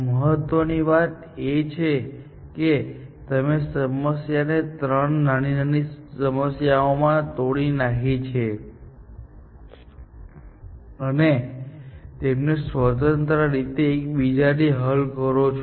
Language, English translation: Gujarati, The important thing is that you have broken the problem down into three smaller problems, and solve them independently, of each other